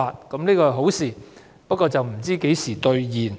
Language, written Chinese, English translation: Cantonese, 這是好消息，不過，何時兌現？, That is a good news but when will the promise be fulfilled?